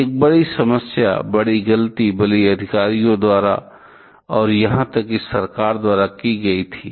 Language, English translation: Hindi, One big problem, big mistake rather was made by the authorities and even by the government also